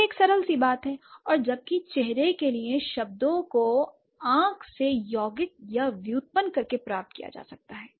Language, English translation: Hindi, And whereas terms for face may be derived by compounding or derivation from the eye